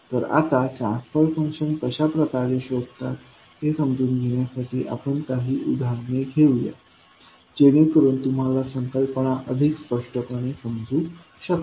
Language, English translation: Marathi, So, now to understand these, the finding out the transfer function let us take a few examples so that you can understand the concept more clearly